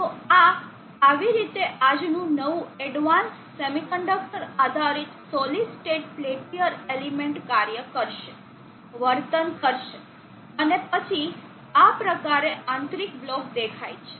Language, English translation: Gujarati, So this is how today’s new advanced semi conductor based solid state peltier element will operate, will behave and then how it is internal block look like